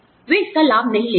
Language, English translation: Hindi, They do not take benefit of it